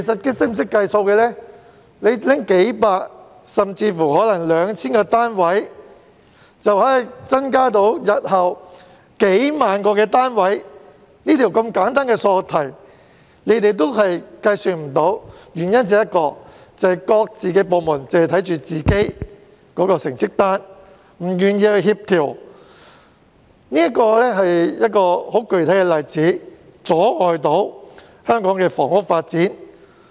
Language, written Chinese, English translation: Cantonese, 撥出數百個甚至 2,000 個單位，日後便可增加數萬個單位，如此簡單的數學題，他們都計算不到，原因只有一個，就是各部門只顧着自己的成績單，不願意協調，這是一個阻礙香港房屋發展的具體例子。, If they allocated a few hundred or even 2 000 flats there would be several ten thousand additional flats in the future . It was such a simple mathematics question but they failed to work it out . There was only one reason that is each department just cared about its own report card and was thus unwilling to coordinate with others